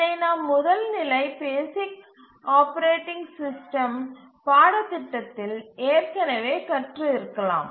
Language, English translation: Tamil, So, this you might have already become familiar in your first level operating system course, the basic operating system course